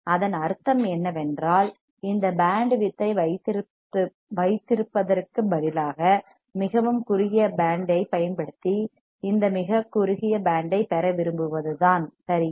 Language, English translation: Tamil, It means that if instead of having this this bandwidth, if I have like this very narrow band using very narrow band right